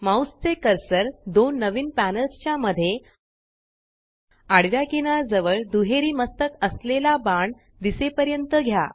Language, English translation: Marathi, Move your mouse cursor to the horizontal edge between the two new panels till a double headed arrow appears